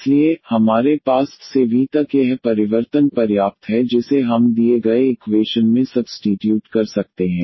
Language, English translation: Hindi, So, we have this change enough from y to v which we can substitute in the given equation